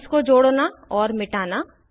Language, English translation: Hindi, * Add and delete bonds